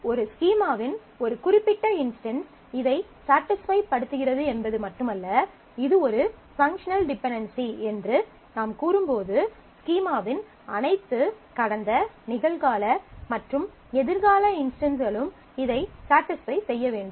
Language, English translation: Tamil, It is not just the fact that a particular instance of a schema satisfies this, but when you say this is a functional dependency, we need all possible past, present and future instances of the schema must satisfy this